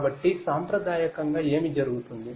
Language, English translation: Telugu, So, you know traditionally what used to happen